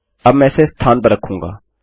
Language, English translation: Hindi, Now I will substitute these